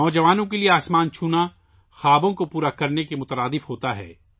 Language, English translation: Urdu, For the youth, touching the sky is synonymous with making dreams come true